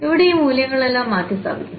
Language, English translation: Malayalam, So, here substituting all these values